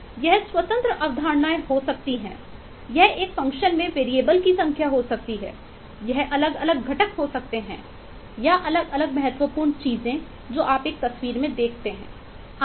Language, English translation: Hindi, it could be independent concepts, it could be number of variables in a uhh, in a function, it could be the different eh components or different important things that you see in a picture, and so on